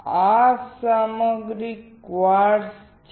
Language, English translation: Gujarati, The material is quartz